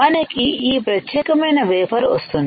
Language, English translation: Telugu, We will get this particular wafer